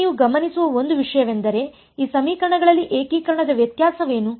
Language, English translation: Kannada, Now, one thing that you will notice is in these equations what is the variable of integration